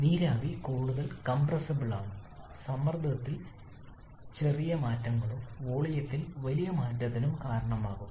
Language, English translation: Malayalam, Now vapour is much more compressible there are also small change in pressure can cause a large change in volume